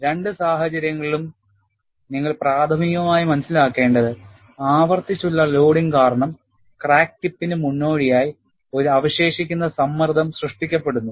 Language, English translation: Malayalam, In both the cases, what you will have to understand primarily is, because of repeated loading, there is a residual stress created, ahead of the crack tip